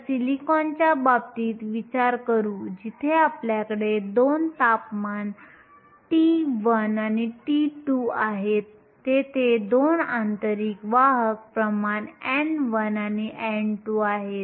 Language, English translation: Marathi, So, consider the case of silicon, where we have 2 temperatures t 1 and t 2 and there are 2 intrinsic career concentrations n 1 and n 2